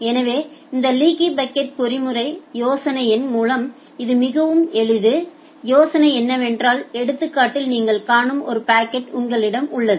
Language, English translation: Tamil, So, this leaky bucket mechanism by idea it is very simple, the idea is that you have a bucket just what you are seeing in the example